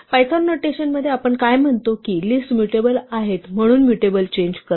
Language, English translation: Marathi, What we say in python notation is that lists are mutable, so mutation is to change